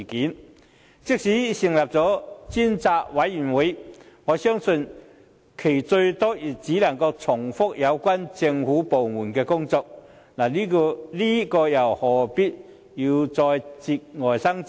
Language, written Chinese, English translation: Cantonese, 況且，即使成立了專責委員會，我相信最多也只能重複有關政府部門的工作，這又何必再節外生枝呢？, Moreover even if the select committee were established eventually I believe that it will achieve nothing more than repeating the government departments tasks . If this is the case why do we insist on duplicating all these efforts?